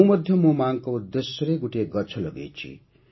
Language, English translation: Odia, I have also planted a tree in the name of my mother